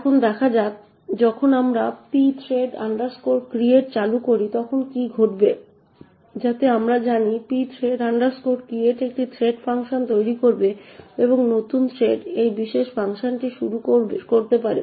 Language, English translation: Bengali, So, let us see what happens when we actually created thread using the pthread create function which starts a thread known as threadfunc, so the threadfunc starts to execute from this particular function